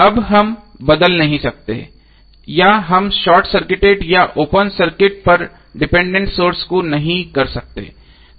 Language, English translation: Hindi, Now we cannot change or we cannot short circuit or open circuit the dependence sources